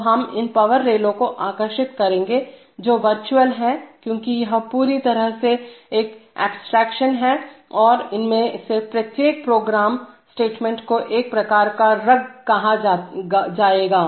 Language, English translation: Hindi, So, we will draw these power rails which are virtual because this is entirely an abstraction and each one of those, each one of these program statements will be called rung